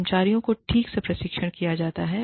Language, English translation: Hindi, The employees are trained properly